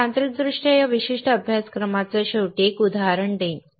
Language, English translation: Marathi, I will give an example at the end of this particular course like I said, technically